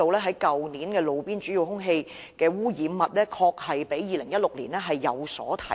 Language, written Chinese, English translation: Cantonese, 去年的路邊主要空氣污染物指數確實比2016年上升。, Indeed the index of major air pollutants at street level last year rose compared to that in the year before last